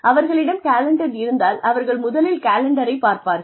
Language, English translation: Tamil, If they have a meeting, if they have a calendar, they will first look at the calendar